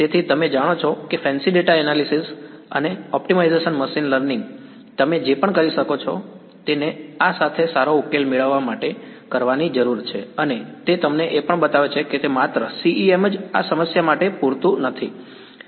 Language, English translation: Gujarati, So, all you know fancy data analytics and optimization machine learning whatever you can throw at it needs to be done to get a good solution with this and it also shows you that just CEM alone is not enough for this problem